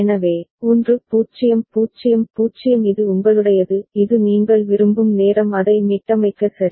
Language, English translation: Tamil, So, 1 0 0 0 this is your this is the time when you want to reset it ok